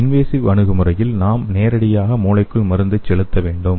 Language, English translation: Tamil, In invasive approach, we have to inject the drug directly into the brain